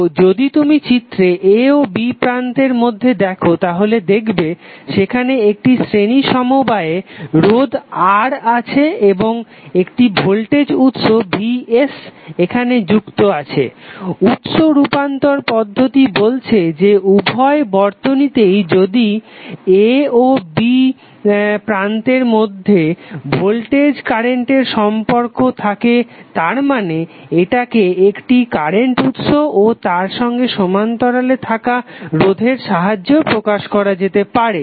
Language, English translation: Bengali, So if you see the figure between terminal a and b you have one series resistance R and one voltage source Vs is connected now, the source transformation technique says that if you have voltage current relationship at node a and b same for both of the circuits it means that this can be represented as an equivalent circuit using one current source in parallel with resistance R